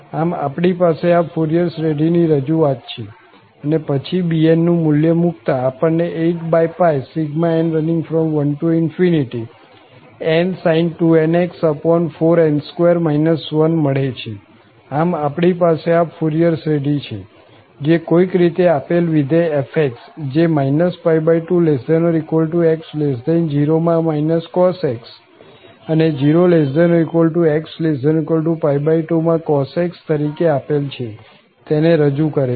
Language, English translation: Gujarati, So, we have this Fourier series representation and then substituting this value of bn as 8 over pi and then we have n sin 2nx over 4 n square minus 1, so we have this Fourier series, which somehow should represent the given function f as minus cos x in the range minus pi by 2 to 0, and then cos x, in 0 to pi by 2